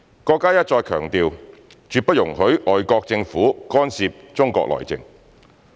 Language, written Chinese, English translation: Cantonese, 國家一再強調，絕不容許外國政府干涉中國內政。, Our country has stressed over and over again that it will absolutely not allow any foreign interference in its internal affairs